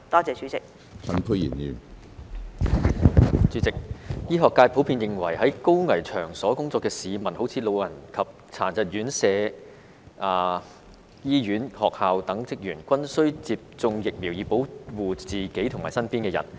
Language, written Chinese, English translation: Cantonese, 主席，醫學界普遍認為在高危場所工作的市民，例如安老及殘疾人士院舍、醫院及學校等的職員，均須接種疫苗以保護自己及身邊的人。, President the medical profession is generally of the view that people working at high - risk venues such as the staff of RCHE and RCHD hospitals and schools should receive vaccination for the protection of themselves as well as people around them